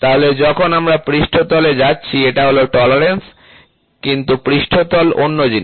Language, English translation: Bengali, So, when we go to a surface, this is tolerance, right, but surface is another thing